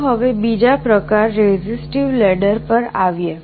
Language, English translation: Gujarati, Let us now come to the other type, resistive ladder